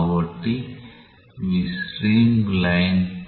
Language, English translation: Telugu, So, these are streamlines